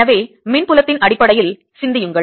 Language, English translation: Tamil, so think in terms of electric field conceptually